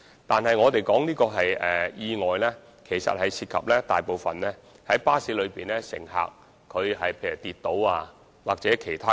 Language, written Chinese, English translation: Cantonese, 但是，我們所指的意外，其實大部分涉及巴士乘客，例如有乘客跌倒或其他情況。, But actually the accidents that we referred to mostly involve bus passengers who for instance had a fall or other situations